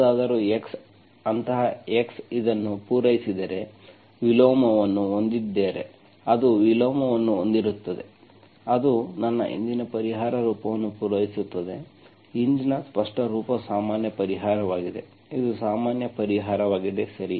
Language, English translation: Kannada, Whatever If x, if such x satisfying this, which has an inverse, it will have an inverse, that will satisfy my earlier solution form, earlier explicit form general solution, which is the general solution